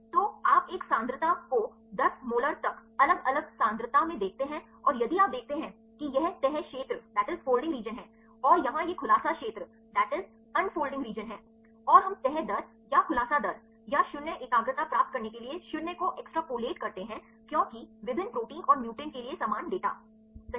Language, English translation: Hindi, So, you see the concentration one to the different concentrations up to 10 molar and if you see this is the folding region and here this is unfolding region and we extrapolate to 0 to get the folding rate or unfolding rate or 0 concentration right because to get the uniform data for different proteins and mutants, right